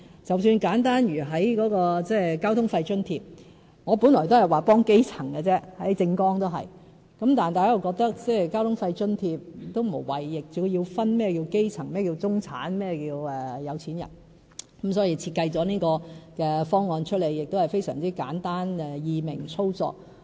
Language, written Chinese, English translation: Cantonese, 即使簡單如交通費津貼，我本來都只是說幫基層，在政綱也是，但大家又覺得交通費津貼無謂要分基層、中產、有錢人，所以設計了這套簡單易明、易於操作的方案。, At first I intended to cover the grass - roots people only and I in fact stated so in my election platform . But then we have come to think that we do not really need to classify people into the grass roots the middle class and the rich for the provision of transport fare subsidies . As a result we have instead designed this simple and easy - to - operate scheme